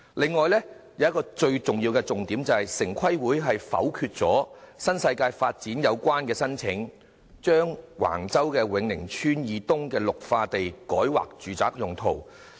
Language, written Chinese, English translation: Cantonese, 此外，還有一個最重要的重點，便是城規會否決了新世界的申請，把橫洲永寧村以東的綠化地改劃住宅用途。, There is another key point which is the most important one that is TPB had rejected the application of NWD to rezone the green - belt zone to the east of Wing Ning Tsuen in Wang Chau as a residential zone